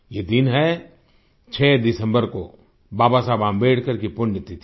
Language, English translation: Hindi, This day is the death anniversary of Babasaheb Ambedkar on 6th December